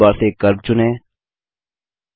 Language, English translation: Hindi, From the Drawing toolbar, select Curve